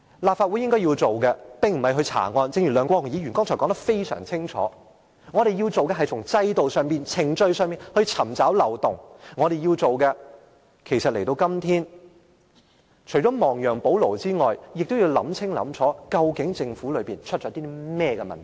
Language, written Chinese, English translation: Cantonese, 立法會應該做的事情並非查案，正如梁國雄議員剛才也說得十分清楚，我們要做的事情，便是從制度上、程序上尋找漏洞，我們今天要做的事情除了亡羊補牢外，就是要想清楚在政府當中，究竟出了甚麼問題。, What this Council should do is not to establish the facts of the case but as stated clearly by Mr LEUNG Kwok - hung just now to identify the loopholes in the system and the procedures involved . Apart from mending the mistakes before it is too late we should also find out clearly what has actually happened within the Government